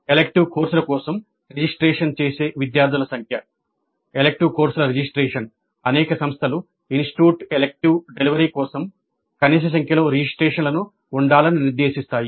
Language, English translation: Telugu, Then the number of students who register for the elective courses, the registrants for the elective courses, many institutes stipulate a minimum number of registrants for an offered elective for it to be actually delivered